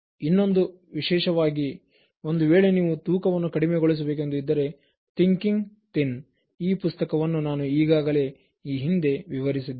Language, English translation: Kannada, and the other one, especially, if you want to reduce your weight, Thinking Thin is the book that I already explained in the previous one